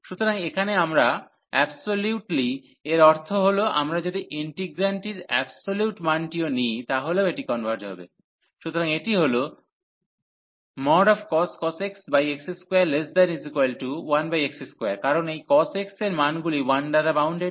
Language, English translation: Bengali, So, here the absolutely means that the if we take even the absolute value of the integrant this is this converges, so this cos x over x square is bound is less than equal to 1 over x square, because this cos x the values are bounded by 1